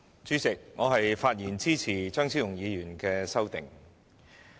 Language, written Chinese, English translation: Cantonese, 主席，我發言支持張超雄議員的修正案。, Chairman I rise to speak in support of Dr Fernando CHEUNGs amendment